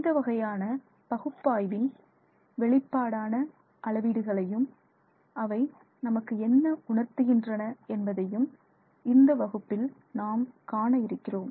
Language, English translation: Tamil, So, in today's class we will look at some measurements that might come out of this kind of an analysis and see what that conveys to us